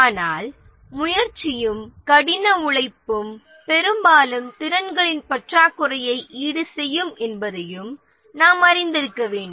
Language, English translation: Tamil, But then we must also be aware that motivation and hard work can often make up for the shortfall in the skills